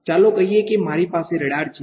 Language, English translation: Gujarati, Let us say I have a radar ok